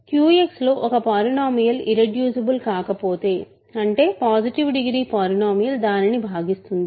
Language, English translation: Telugu, If some polynomial is not irreducible in QX; that means, a positive degree polynomial divides it